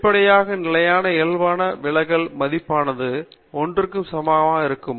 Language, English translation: Tamil, And obviously, the standard deviation value for the standard normal will be equal to 1